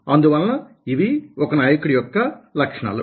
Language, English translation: Telugu, so these are the qualities of a leader